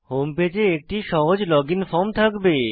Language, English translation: Bengali, The home page will contain a simple login form